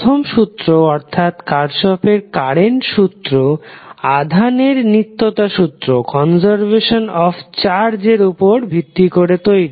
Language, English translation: Bengali, The first one that is Kirchhoff’s current law is based on law of conservation of charge